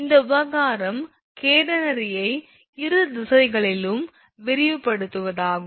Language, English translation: Tamil, The matter is merely are of extending the catenary in both directions